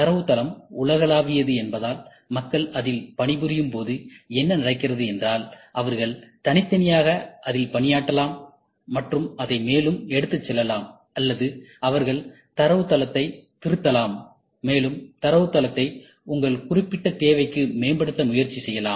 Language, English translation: Tamil, Since the database is universal, so what happens is people when they work on it, they can individually work on it and take it further or they can edit the database, and try to improvise the database to your specific requirement